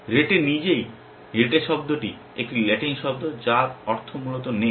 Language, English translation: Bengali, Rete itself, the word rete is a latin word which means the net essentially